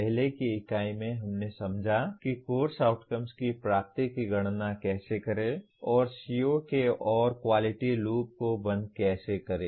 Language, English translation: Hindi, In the earlier unit we understood how to compute the attainment of Course Outcomes and close the quality loop around the COs